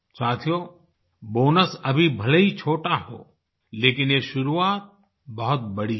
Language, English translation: Hindi, Friends, the bonus amount may be small but this initiative is big